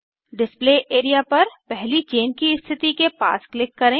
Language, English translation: Hindi, Click on the Display area near the first chain position